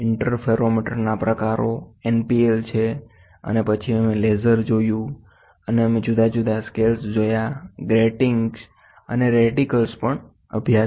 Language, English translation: Gujarati, Types of interferometer one is NPL and then we saw laser, and we saw different scales gratings and reticles